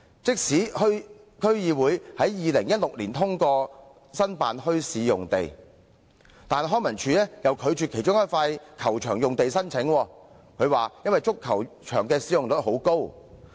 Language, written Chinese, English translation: Cantonese, 即使有關區議會在2016年支持申請墟市用地，但康文署又以足球場使用率高為由，拒絕使用其中一幅球場用地的申請。, Even though the District Council concerned approved the application in 2016 LCSD turned down the application to set up a bazaar in one of the football pitches for reason that the football pitch had a high usage rate